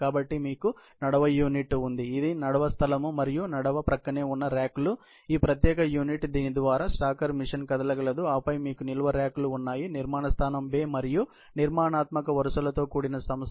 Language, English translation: Telugu, So, you have an aisle unit, which is the aisle space and racks adjacent to the aisle, this particular unit through which, the stacker machine can move and then, you have storage racks; a structural entity, comprising storage location bays and rows